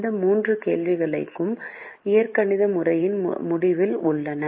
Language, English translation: Tamil, so these three questions remain at the end of the algebraic method